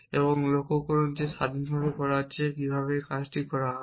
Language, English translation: Bengali, And notice that this is being done independent fashion how to be do this